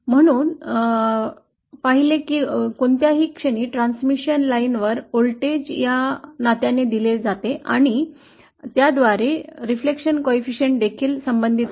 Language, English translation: Marathi, So we saw that the voltage at any point is on a transmission line is given by this relationship which in turn is also related to the reflection coefficient